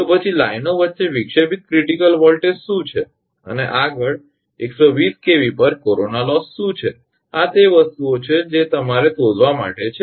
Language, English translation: Gujarati, Then what is the disruptive critical voltage between lines and next what is the corona loss at 120 kV these are the things you have to find out